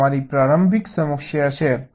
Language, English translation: Gujarati, this is your initial problem